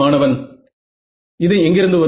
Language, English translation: Tamil, Where will it come from